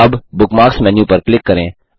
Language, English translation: Hindi, Now click on the Bookmark menu